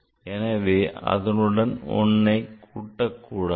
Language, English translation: Tamil, So, it will increase by 1